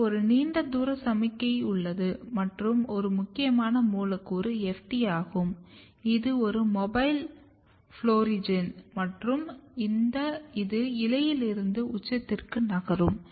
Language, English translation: Tamil, And there is a long distance signaling involved here and one important molecule which is FT which you will see basically it is a mobile florigen, if this is the signal FT can move from leaf to the apex